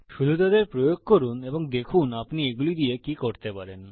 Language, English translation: Bengali, Just try them out and see what all you can do with them